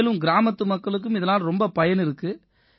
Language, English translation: Tamil, And the people of the village also benefit from it